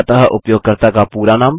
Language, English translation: Hindi, So, the fullname of the user